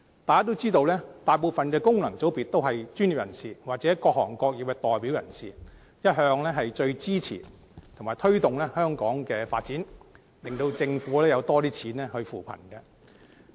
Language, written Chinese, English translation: Cantonese, 大家也知道，大部分功能界別的議員是專業人士或各行各業的代表，一向最支持和推動香港的發展，令政府有較多資源來扶貧。, As Members all know most FC Members are professionals or representatives of various sectors and industries . All along they have rendered the greatest support to fostering Hong Kongs development and enabled the Government to receive more resources for alleviating poverty